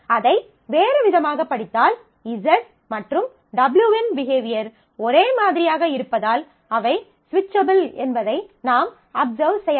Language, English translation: Tamil, So, you can you can naturally if you read it in little in a different way, then you can observe that since the behavior of Z and W are identical they are switchable